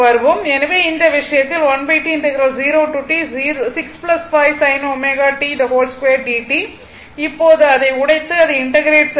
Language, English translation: Tamil, Now, you just break it and just you integrate it